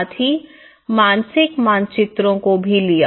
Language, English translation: Hindi, Also, taken the mental maps